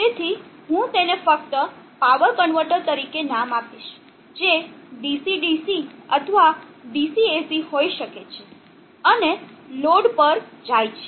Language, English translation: Gujarati, So I will just name it as a power convertor which could be DC DC or DC AC, and goes to a load